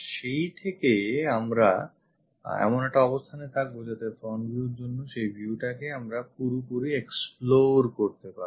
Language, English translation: Bengali, That way also we will be in a position to fully explore that view for the front